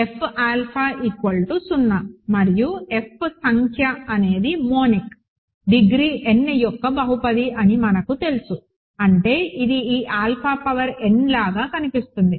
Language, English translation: Telugu, We know that F alpha is 0, right and F number is a monic, polynomial of degree n, so that means, it looks like this alpha power n